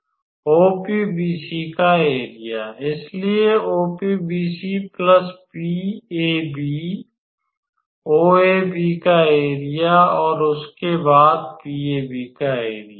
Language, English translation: Hindi, Area of OPBC; so OPBC plus area of PAB OABC and then area of PAB right